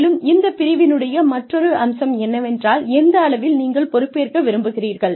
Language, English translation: Tamil, And, another aspect of this domain is, what level of responsibility, do you want